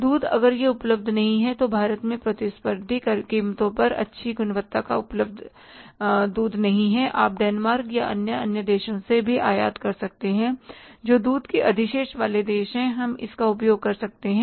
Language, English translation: Hindi, Milk if it is not available in the good quality milk is not available at the competitive prices in India, you can even import from Denmark or maybe from other countries which are the milk surplus countries and we can make use of that